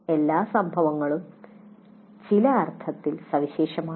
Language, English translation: Malayalam, Every instance is unique in some sense